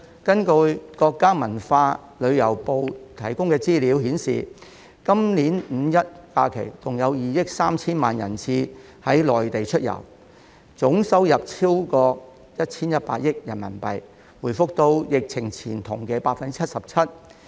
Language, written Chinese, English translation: Cantonese, 根據國家文化和旅遊部的資料顯示，今年五一假期，共有2億 3,000 萬人次於國內出遊，總收入超過 1,100 億元人民幣，回復至疫前同期的 77%。, According to the national Ministry of Culture and Tourism China saw a total of 230 million domestic tourist trips during the May Day holiday this year generating over RMB110 billion in revenue and is 77 % of the corresponding pre - pandemic level